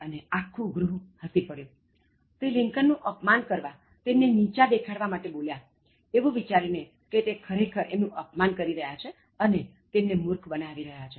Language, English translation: Gujarati, ” And the whole Senate laughed; so, he was just insulting, humiliating Lincoln, thinking that he is actually insulting him, and they thought that they had made a fool of Abraham Lincoln